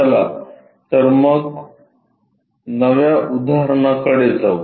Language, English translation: Marathi, Let us move on to the new example